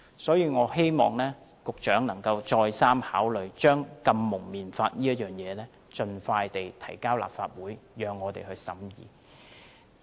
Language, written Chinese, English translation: Cantonese, 因此，我希望局長能再三考慮盡快將禁蒙面法提交立法會，讓我們審議。, Therefore I hope the Secretary can think twice about introducing an anti - mask law to the Legislative Council for our scrutiny as soon as possible